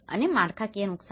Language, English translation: Gujarati, And, infrastructural damage